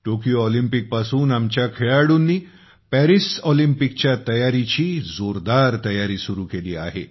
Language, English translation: Marathi, Right after the Tokyo Olympics, our athletes were whole heartedly engaged in the preparations for the Paris Olympics